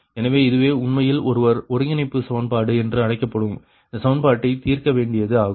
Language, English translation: Tamil, so this is actually how these and this equation is called coordination equation one has to solve, right